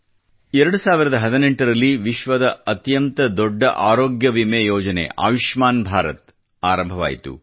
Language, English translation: Kannada, The year 2018 saw the launching of the world's biggest health insurance scheme 'Ayushman Bharat'